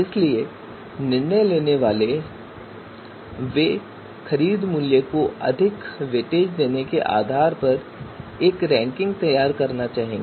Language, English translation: Hindi, So the decision maker they would like to produce a ranking you know based on considering based on giving higher weightage to purchase price